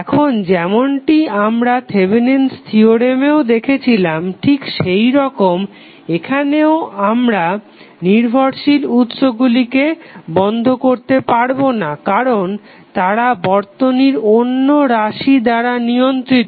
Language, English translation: Bengali, Now, as we saw with the Thevenm's theorem in this theorem also the dependent sources cannot be turned off because they are controlled by the circuit variables